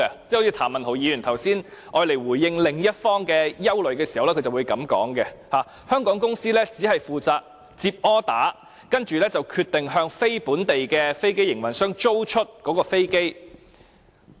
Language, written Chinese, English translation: Cantonese, 就如譚文豪議員剛才回應另一方的憂慮時提到，香港公司只負責接生意，向"非香港飛機營運商"租出飛機。, This means that as Mr Jeremy TAM remarked when responding to another worry lessors in Hong Kong are only responsible for processing business orders and leasing aircraft to non - Hong Kong aircraft operators